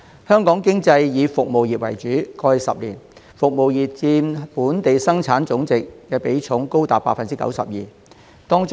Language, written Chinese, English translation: Cantonese, 香港經濟以服務業為主導，過去10年，服務業佔本地生產總值的比重高達 92%。, The economy of Hong Kong is dominated by the service sector which in the past 10 years accounted for 92 % of GDP